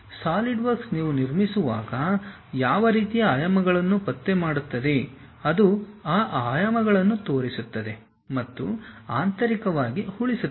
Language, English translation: Kannada, Solidworks detects what kind of dimensions, when you are constructing it shows those dimensions and saves internally